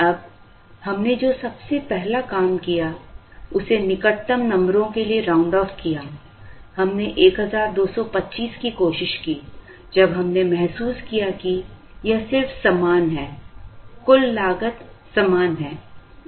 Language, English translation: Hindi, Now, the first thing we did was to round this off to the nearest numbers, we tried 1225, when we realized that, it just is the same, the total cost is the same